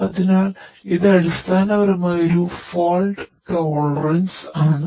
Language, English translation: Malayalam, So, this is basically the fault tolerance basically